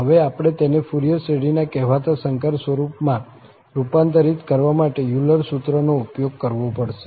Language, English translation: Gujarati, We have to use these Euler formula now, to convert into this so called complex form of the Fourier series